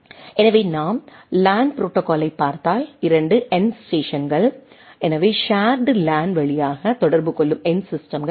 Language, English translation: Tamil, So, if we look at the LAN protocol, so 2 end stations, so end systems that communicate via a shared LAN right